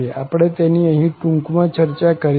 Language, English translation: Gujarati, We will discuss it in brief here